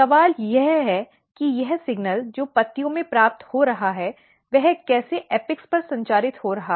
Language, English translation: Hindi, The question is that how this signal which is being received in the leaves are getting communicated to the apex